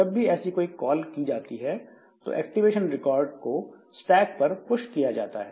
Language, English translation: Hindi, And whenever a call call is made one such activation record is pushed into the stack